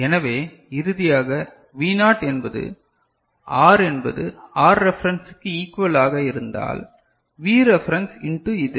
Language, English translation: Tamil, So, finally, V naught is equal to, if R is equal to R reference, V reference in to this one is it clear